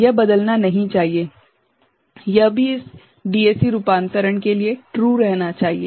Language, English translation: Hindi, It should not change ok, it too should remain true for this DAC conversion